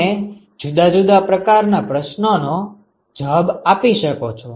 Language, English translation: Gujarati, You can answer different kinds of questions